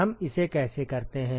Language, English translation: Hindi, How do we do this